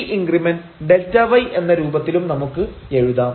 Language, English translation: Malayalam, So, if this increment here delta y we can write down in this form